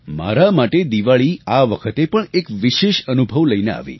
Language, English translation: Gujarati, To me, Diwali brought a special experience